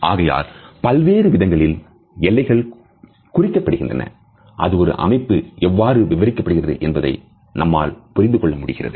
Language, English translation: Tamil, So, these are the boundary markers and they enable us to understand how a system is to be interpreted